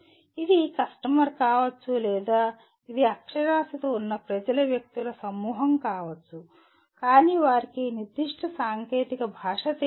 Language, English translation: Telugu, It could be a customer or it could be a group of public persons who are literate alright but they do not know this specific technical language